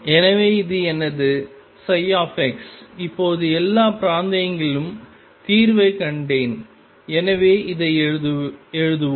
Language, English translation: Tamil, So this is my psi x, now I have found the solution in all regions so let us write it